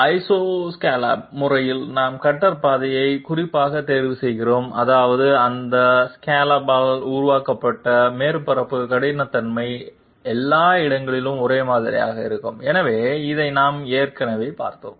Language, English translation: Tamil, And in the Isoscallop method we choose the cutter path specifically such that the surface roughness created by those scallops will be uniform everywhere, so this we have seen already